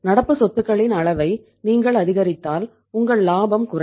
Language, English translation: Tamil, If you increase the level of current assets your profitability will go down